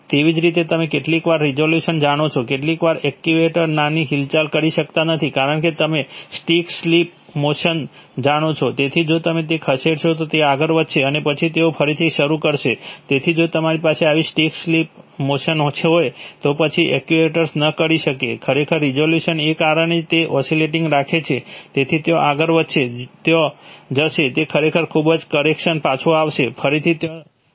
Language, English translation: Gujarati, Similarly the sometimes resolution, you know, some actuators cannot make small movements either because of you know stick slip motion, so if you they move it they will move and then they will again get started, so for such, if you have such stick slip motions then the then the actuator cannot, actually because of resolution it keeps oscillating, so it will move there, there will, that is actually too much correction will come back, again it will move there